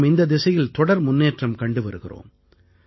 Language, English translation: Tamil, we are ceaselessly taking steps in that direction